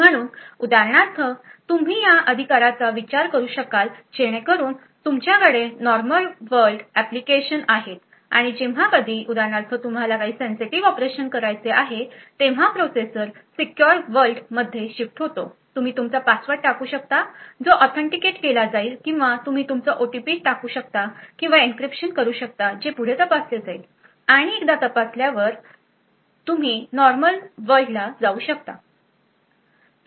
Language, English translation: Marathi, So for example you could consider this right so you would have normal world applications and whenever for example you require to do some sensitive operation the processor shifts to the secure world you enter your password which gets authenticated or you enter your OTP or do an encryption which further gets verified and then once it is verified you switch back to the normal world